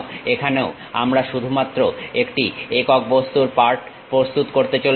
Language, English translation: Bengali, Here also we are going to prepare only one single object part